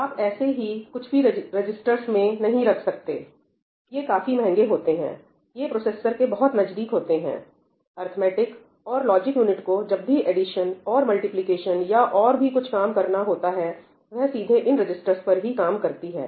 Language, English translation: Hindi, You cannot have arbitrary number of registers, it is quite costly; it is very close to the processor, right, the arithmetic and logic unit directly works on registers whenever it has to do addition, multiplication and so on